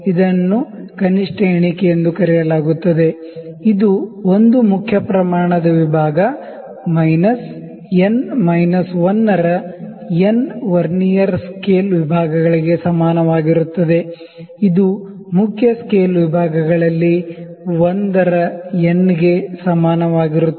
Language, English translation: Kannada, This is known as the least count, which is equal to 1 main scale division minus n minus 1 by n Vernier scale divisions which is equal to actually 1 by n of the main scale divisions